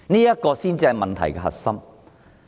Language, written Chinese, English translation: Cantonese, 這才是問題的核心。, This is the crux of the problem